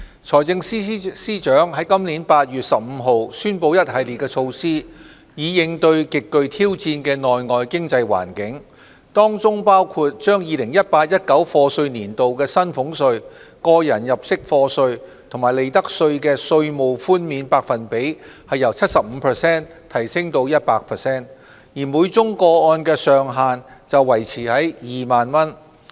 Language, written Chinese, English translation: Cantonese, 財政司司長在今年8月15日宣布一系列措施，以應對極具挑戰的內外經濟環境，當中包括將 2018-2019 課稅年度薪俸稅、個人入息課稅及利得稅的稅務寬免百分比由 75% 提升至 100%， 而每宗個案的上限則維持在2萬元。, On 15 August 2019 the Financial Secretary announced a package of measures to counter the challenging external and local economic environment . One of the measures is to increase the tax reduction of salaries tax tax under personal assessment and profits tax for the year of assessment 2018 - 2019 from 75 % to 100 % while retaining the ceiling of 20,000 per case